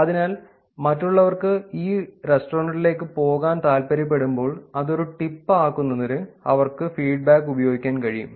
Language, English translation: Malayalam, So, when others want to get to this restaurant they can actually use feedback to make it that is a tip